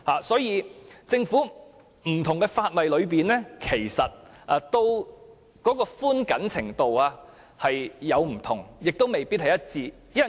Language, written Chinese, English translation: Cantonese, 所以，在現行的不同法例中，寬緊程度亦各有不同，未必一致。, That is why the requirements under different ordinances all vary in flexibility and rigidity